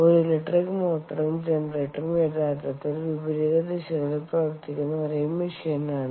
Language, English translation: Malayalam, an electric motor and generator are really the same machine running in opposite directions